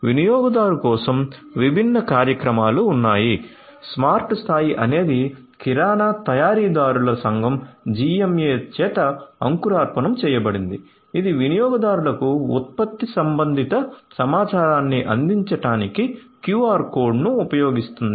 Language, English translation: Telugu, For the consumer there are different initiatives smart level is an initiative by the Grocery Manufacturers Association GMA, which uses your quote to provide product related information to the consumers